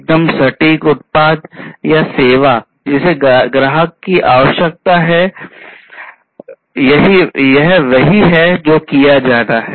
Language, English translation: Hindi, Producing exact product or the service that the customer needs, this is what has to be done